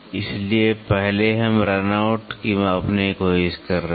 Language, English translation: Hindi, So, first we are trying to measure the run out